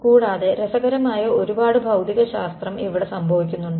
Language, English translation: Malayalam, Besides, there is a lot of interesting physics happening over here